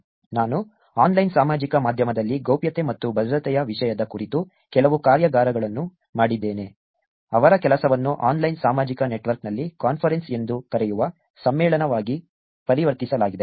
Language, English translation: Kannada, I have done some workshops around the topic of privacy and security in online social media whose work converted into a conference called a conference on online social network